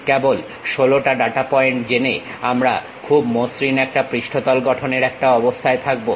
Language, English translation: Bengali, By just knowing 16 data points we will be in a position to construct a very smooth surface